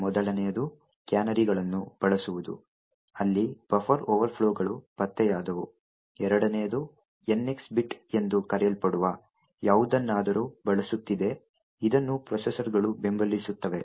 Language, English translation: Kannada, The first was using canaries where buffer overflows were detected, the second is using something known as the NX bit which is supported by the processors